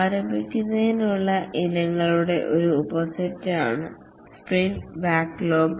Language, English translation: Malayalam, The sprint backlog is a subset of items to start with